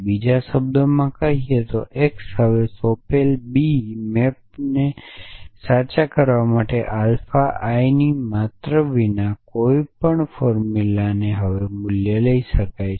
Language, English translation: Gujarati, In other words x can take any value the formula now without the quantify alpha I under that assignment B map to true